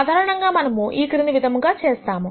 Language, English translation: Telugu, Typically what you would do is the following